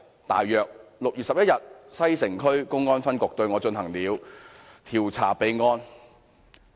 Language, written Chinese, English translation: Cantonese, 大約在6月11日，西城區公安分局對我進行了調查備案。, Around 11 June the Xicheng branch of the Public Security Bureau initiated an investigation into me for filing